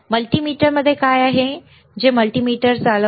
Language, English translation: Marathi, What is within the multimeter that operates the multimeter